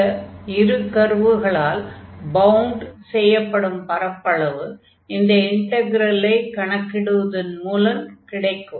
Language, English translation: Tamil, So, that is the area bounded by these 3 curves, we can compute this integral